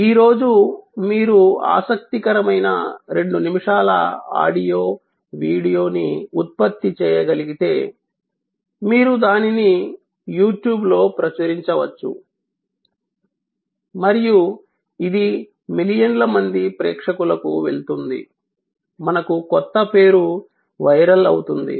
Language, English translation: Telugu, Today, if you can produce an interesting 2 minutes of audio, video material, you can publish it on YouTube and it will go to millions of viewers, we have a new name going viral